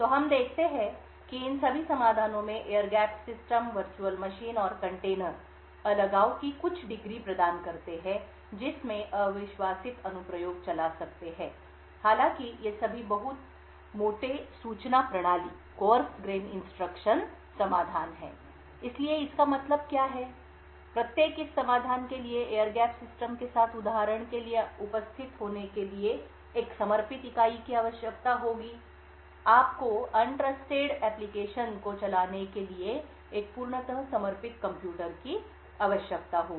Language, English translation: Hindi, So what we see is that all of these solutions the air gapped systems, Virtual Machines and containers would provide some degree of isolation in which untrusted application can execute however all of these are very coarse grain solutions, so what we mean by this is that each of this solutions would require a dedicated entity to be present for example with air gap systems, you would require a compete dedicated computer just to run the untrusted program